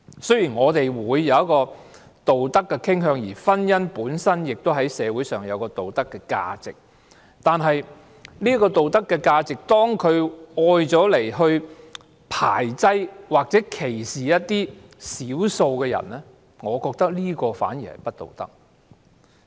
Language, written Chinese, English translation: Cantonese, 雖然我們會有一個道德的傾向，而婚姻本身亦在社會上有道德價值，但當這道德價值被用來排擠或歧視少數人，我覺得這反而是不道德的。, Although we have a moral propensity and marriage itself has moral values in society when this moral value is used to ostracize or discriminate against minorities I think on the contrary that this is immoral